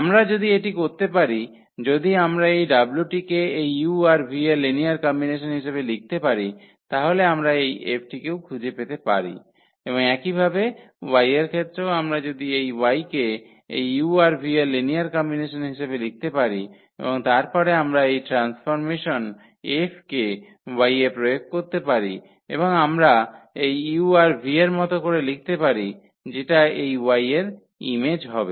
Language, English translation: Bengali, If we can if we can write this w as a linear combination of this u and v then we can also find out the F and similarly with y also if we can write down this y as a linear combination of u and v, then we can apply this transformation F on y and we can write down in terms of u and v and that will be the image of this y